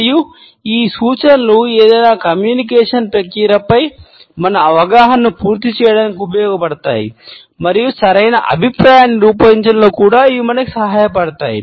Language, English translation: Telugu, And these indications used to complete our understanding of any communication process and they also helped us in generating a proper feedback